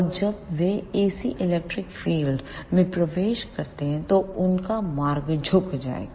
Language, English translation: Hindi, And as they enter into the ac electric field their path will be bent